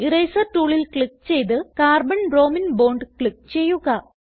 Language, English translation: Malayalam, Click on Eraser tool and click on Carbon bromine bond